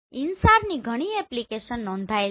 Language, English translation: Gujarati, And several application of InSAR have been reported